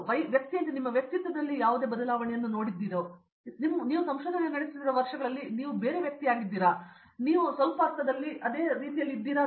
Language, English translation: Kannada, I am just curious do you see any change in your personality as a as a person, over the years that you have become been doing the research, are you a different person now then you were in some sense, then you were